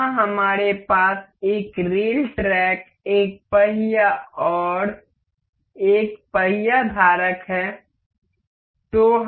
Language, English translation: Hindi, Here, we have a rail track, a wheel and a wheel holder